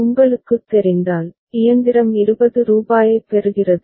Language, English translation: Tamil, If by any you know, sequence the machine receives rupees 20